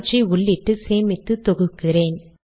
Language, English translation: Tamil, Let me put them, save them, compile them